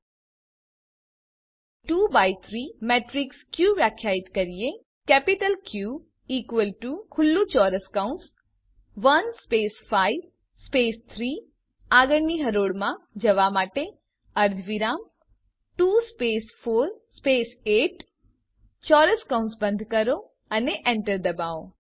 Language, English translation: Gujarati, Let us now define a 2 by 3 matrix Q: Capital q is equal to open square bracket one space five space three semicolon to enter into the next row Two space four space eight close the square bracket and press enter